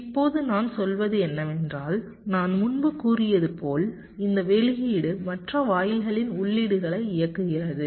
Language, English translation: Tamil, now what i am saying is that this output, as i said earlier, may be driving the inputs of other gates